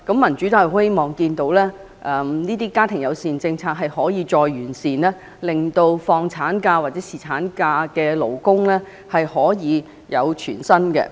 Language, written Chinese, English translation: Cantonese, 民主黨希望見到家庭友善政策得以再完善，令放取產假或侍產假的勞工階層可以獲得全薪的工資。, The Democratic Party hopes to see a better version of the family friendly policy so that the working class can get full pay while taking maternity or paternity leave